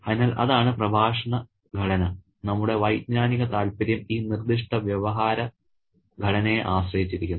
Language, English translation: Malayalam, So, that's the discourse structure and our cognitive interest depends on this particular discourse structure